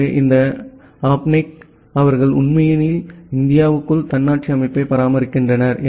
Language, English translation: Tamil, So, this apnic they actually maintain autonomous system inside India